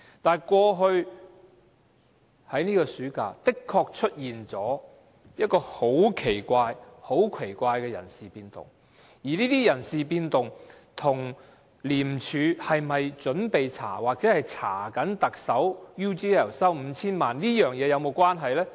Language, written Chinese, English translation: Cantonese, 但是，過去在這個暑假的確出現了很奇怪的人事變動，而這些人事變動跟廉署是否準備調查或正調查特首收取 UGL 5,000 萬元這事有否關係？, Nevertheless this summer there were really some very strange personnel changes . Were these personnel changes connected with whether ICAC was about to investigate or was already investigating the Chief Executives receipt of 50 million from UGL?